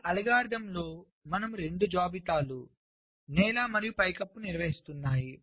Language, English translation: Telugu, so in this algorithm we are maintaining two lists: floor and ceiling